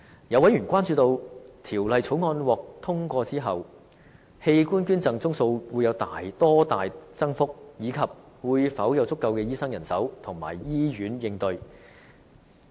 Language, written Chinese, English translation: Cantonese, 有委員關注到，《條例草案》獲通過後，器官捐贈宗數會有多大增幅，以及會否有足夠的醫生人手和醫院應對該增幅。, Some members express concern about the increase in the number of organ donations after the passage of the Bill and whether there will be sufficient medical practitioners and hospitals to cope with the increase